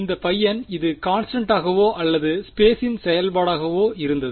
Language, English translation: Tamil, This guy was what was it constant or a function of space